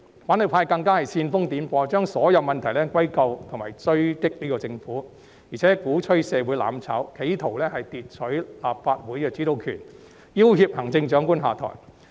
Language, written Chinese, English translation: Cantonese, 反對派更加煽風點火，將所有問題歸咎政府、追擊政府，並且鼓吹社會"攬炒"，企圖奪取立法會的主導權，要脅行政長官下台。, The opposition camp then fanned the flames by blaming the Government for all the problems and attacking it . Further they advocated mutual destruction in society attempted to seize control of the Legislative Council and forced the Chief Executive to step down